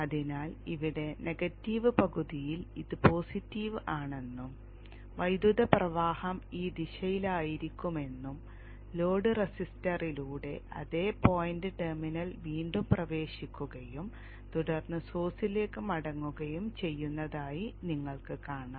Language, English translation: Malayalam, This is positive during the negative half and the flow of current will be in this direction and again entering here at the same point terminal through the load resistor and then comes back to the source